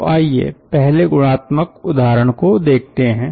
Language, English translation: Hindi, so let us see may be one first very qualitative example